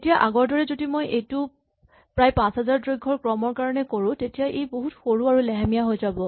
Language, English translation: Assamese, Now as before what we said is that if we try to do this for a length of around 5000 then it will be much smaller and much slower right